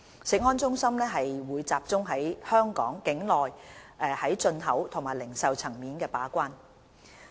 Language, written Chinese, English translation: Cantonese, 食安中心則集中於香港境內在進口及零售層面把關。, CFS performs its gatekeeping role at the import and retail levels within the jurisdiction of Hong Kong